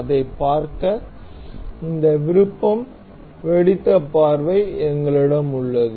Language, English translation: Tamil, To see that, we have this option exploded view